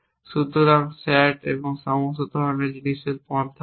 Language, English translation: Bengali, So, there are approaches to sat and all kinds of things